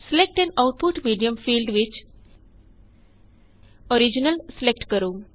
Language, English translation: Punjabi, In the Select an output medium field, select Original